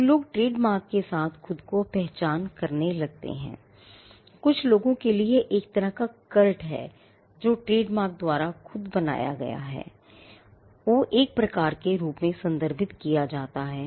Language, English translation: Hindi, So, when people start identifying themselves with trademarks, some people have referred to this as a kind of a cult that gets created because of the trademarks themselves